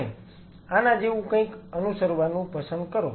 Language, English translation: Gujarati, And preferred to follow something like this